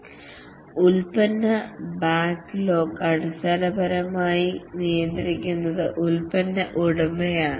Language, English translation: Malayalam, The product backlog is basically managed by the product owner